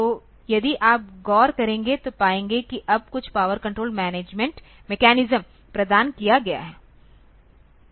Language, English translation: Hindi, So, if you look into you will find now some power control mechanism has been provided